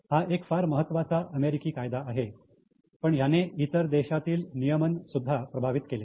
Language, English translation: Marathi, It's an American law but it has affected regulation in other countries also